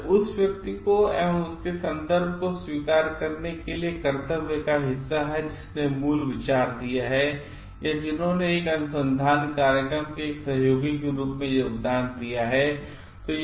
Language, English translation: Hindi, It is a part of a duty to acknowledge the person who has original given the idea or who has contributed as a part of a research program